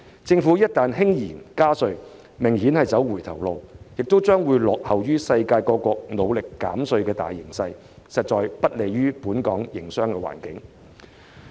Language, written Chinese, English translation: Cantonese, 政府一旦輕言加稅，明顯是在走回頭路，亦將會落後於世界各國努力減稅的大形勢，實在不利於本港的營商環境。, By raising taxes casually the Government is obviously backtracking . Contrary to the major trend of tax reduction in countries around the world the Governments move will actually do a disservice to the business environment of Hong Kong